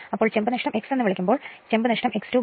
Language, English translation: Malayalam, So, your copper loss when X your what you call copper loss is equal to x square into W c